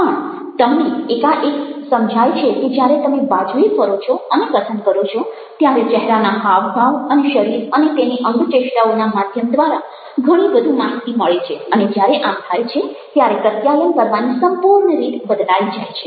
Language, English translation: Gujarati, but you suddenly realize that when you turn around and you speak, there is a lot more information through other channels, like facial expressions and the body and it's gestures, and when that happens may be the the entire way of communicating also has to change